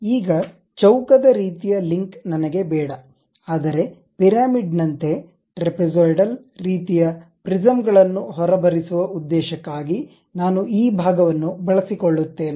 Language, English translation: Kannada, Now, I do not want the square kind of link, but something like trapezoidal kind of prism coming out of it more like a pyramid